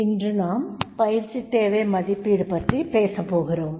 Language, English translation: Tamil, So, today, we will talk about the need assessment training need assessment